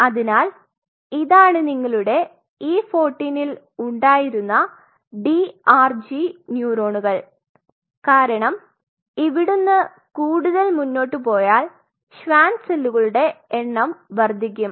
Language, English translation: Malayalam, So, and these are your DRG neurons which are there at E 14 because if you go further that the population of the Schwann cells are going to go up